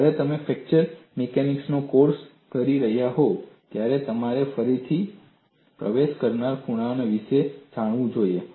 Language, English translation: Gujarati, When you are doing a course on fracture mechanics, you should also know about reentrant corners